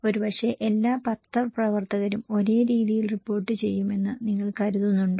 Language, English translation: Malayalam, Maybe, do you think that all journalists will report the same way